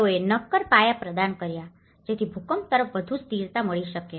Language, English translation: Gujarati, They provided the concrete foundations, so which can give more stability, greater stability towards the earthquake